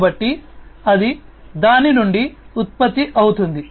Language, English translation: Telugu, So, that is going to be generated out of it